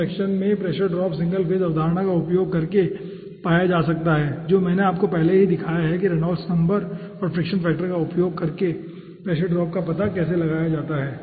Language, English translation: Hindi, so pressure drop in those section can be found out using single phase consideration, which already i have shown you how to find out, using reynolds number and finding out fiction factor, although those things